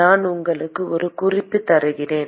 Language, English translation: Tamil, I will give you a hint